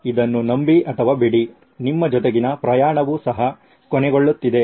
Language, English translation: Kannada, Believe it or not our journey together is also coming to an end